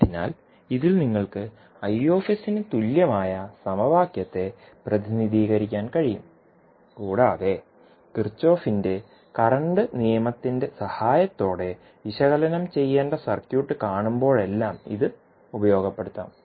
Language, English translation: Malayalam, So, in this you can represent equivalently the equation for Is and this you can utilize whenever you see the circuit to be analyzed with the help of Kirchhoff’s current law